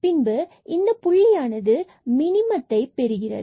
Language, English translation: Tamil, So, we got this point of local minimum